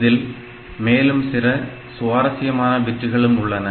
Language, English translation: Tamil, There are some more interesting bits ok